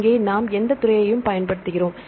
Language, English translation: Tamil, So, here we use any field